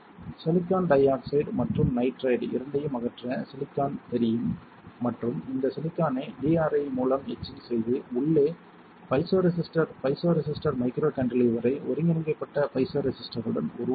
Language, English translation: Tamil, To remove the silicon dioxide and nitride both after this you can see the silicon is visible and this silicon you can etch with DRI to form your piezo resistor piezo resistor microcantilever with integrated piezo resistor into it ok